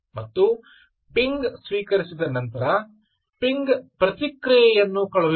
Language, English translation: Kannada, sending ping request and ping received ping response